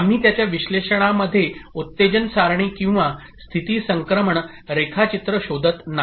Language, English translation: Marathi, We are not looking into excitation table or state transition diagram in its analysis